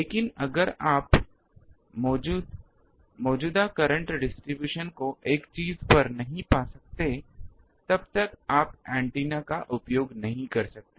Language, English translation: Hindi, But if you cannot find this current distribution on a thing, but then cannot you use the antenna